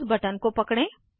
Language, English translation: Hindi, Hold down the mouse button